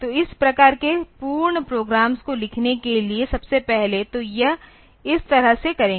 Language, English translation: Hindi, So, first of all for writing this type of complete programs; so, will do it like this